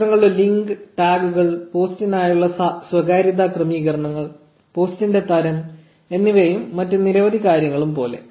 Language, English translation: Malayalam, Like the link of the pictures the tags, the privacy settings for the post, the type of the post which is photo here, and multiple other things